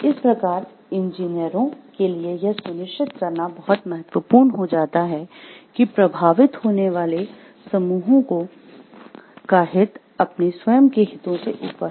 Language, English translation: Hindi, Thus it becomes important for engineers to make sure that the interest of the groups to be affected prevails over their own interest of profit